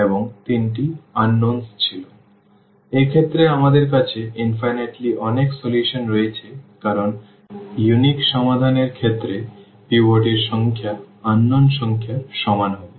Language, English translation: Bengali, So, this is the case where we have infinitely many solutions because in the case of unique solutions the number of pivots will be equal to the number of unknowns